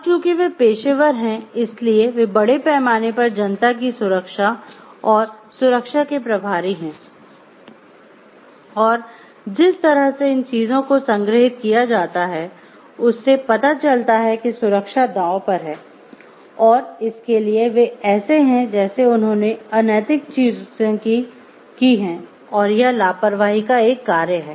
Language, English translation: Hindi, Because they are as a professions professional they are in charge of the safety and security of the public at large and the way that these things are stored showed like the safety is at stake and for that they are like they have done the unethical things and it is a act of negligence